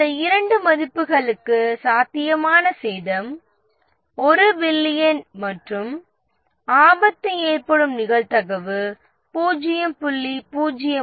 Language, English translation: Tamil, And for these two values, the potential damage is 1 billion and the probability of the risk occurring is 0